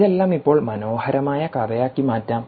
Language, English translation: Malayalam, let's now convert all this into a beautiful story